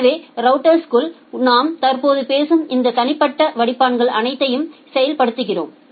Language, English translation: Tamil, So, inside the router so, we implement all these individual filters that we are currently talking about